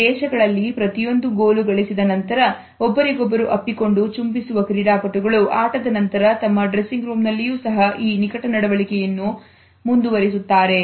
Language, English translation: Kannada, In these countries sportsmen of an embrace and kiss each other after a goal has been scored and they continue this intimate behavior even in the dressing room